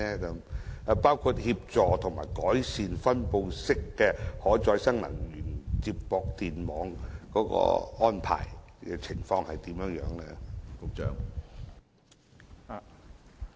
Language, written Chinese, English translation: Cantonese, 此外，協助及改善分布式可再生能源接駁電網的安排情況為何？, Furthermore may I ask how the distributed RE connection arrangements can be facilitated and improved?